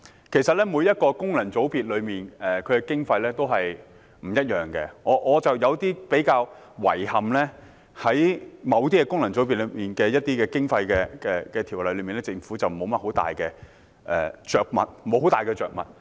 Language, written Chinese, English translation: Cantonese, 其實，每個功能界別的經費都不一樣，而我覺得比較遺憾的是，對於某些功能界別的經費，政府在《條例草案》中並沒有太多着墨。, Actually the amount of election expenses varies from one FC to another and I find it rather regrettable that the Government has not said much on the election expenses of certain FCs in the Bill